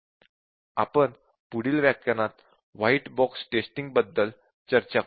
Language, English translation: Marathi, So, please do that and we will discuss about white box testing in the next session